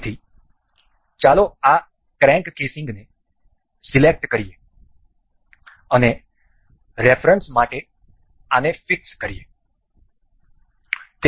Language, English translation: Gujarati, So, let us pick this crank casing and fix this for the reference